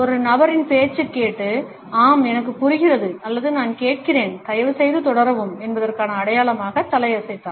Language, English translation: Tamil, If we listen to a person and nod as a sign of “Yes, I understand or I am listening, please continue